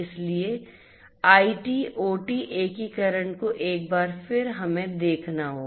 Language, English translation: Hindi, So, IT OT integration once again we have to relook at